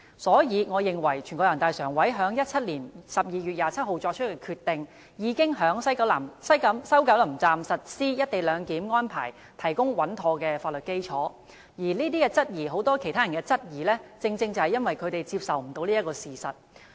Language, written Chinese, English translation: Cantonese, 因此，我認為人大常委會在2017年12月27日作出的決定，已為在西九龍站實施"一地兩檢"安排提供穩妥的法律基礎，很多人對"一地兩檢"安排提出質疑，正是因為他們未能接受這個事實。, I thus hold the Decision made by NPCSC on 27 December 2017 as a legal basis solid enough for the implementation of co - location arrangement at WKS a fact that many of those who question the co - location arrangement fail to accept